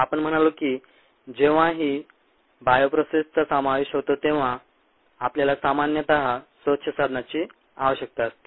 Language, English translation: Marathi, we said that whenever a bio processes involved, we typically need a clean slate